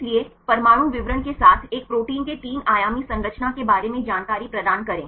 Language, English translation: Hindi, So, provide the information about the three dimensional structure of a protein right with atomic details